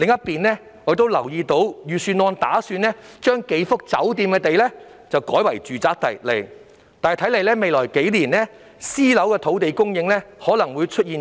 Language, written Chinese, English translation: Cantonese, 此外，我留意到預算案打算把數幅酒店用地改為住宅用地，看來未來數年私樓土地供應可能會出現斷層。, Moreover I notice that the Budget intends to convert several hotel sites into residential sites so it seems that there may be a gap in private housing land supply in the next few years